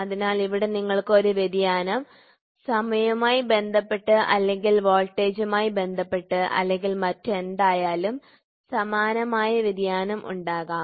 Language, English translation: Malayalam, So, here you can have a variation analogous variation with respect to time or with respect to voltage whatever it is